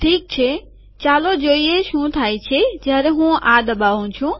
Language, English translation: Gujarati, Alright, lets see what happens when I click this